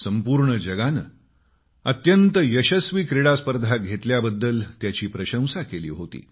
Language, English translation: Marathi, The whole world acclaimed this as a very successful tournament